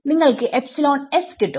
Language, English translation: Malayalam, So, it will be